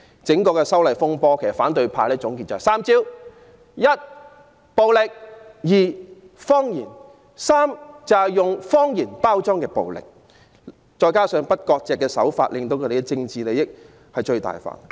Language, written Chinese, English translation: Cantonese, 總結整場修例風波，反對派只有3招：一：暴力；二：謊言；三：以謊言包裝暴力；再加上不割席的手法，令他們的政治利益最大化。, In sum the opposition camp has always used three tactics during the disturbances arising from the proposed legislative amendments first violence; second lies; third packaging violence with lies . Coupled with the strategy of no severing ties the three tactics serve to maximize their political interests